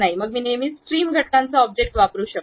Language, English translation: Marathi, Then I can always use trim entities object